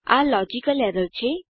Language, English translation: Gujarati, This is a logical error